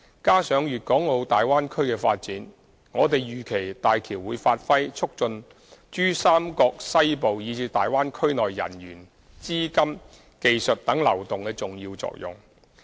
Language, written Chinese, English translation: Cantonese, 加上粵港澳大灣區的發展，我們預期大橋會發揮促進珠三角西部以至大灣區內人員、資金、技術等流動的重要作用。, Coupled with the development of the Bay Area we anticipate that HZMB will play an important function of fostering the smooth flow of people capital technology and so forth within western PRD and the Bay Area